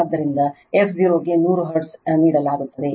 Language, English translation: Kannada, So, f 0 is given 100 hertz